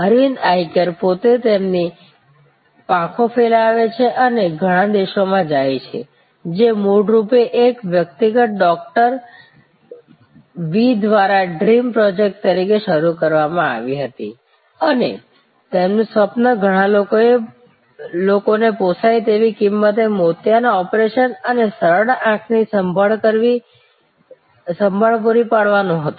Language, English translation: Gujarati, Aravind Eye Care themselves are spread their wings and gone to many countries, originally started as a dream project by one individual Doctor V and his dream was to provide cataract operation and simple eye care to many people at a fordable price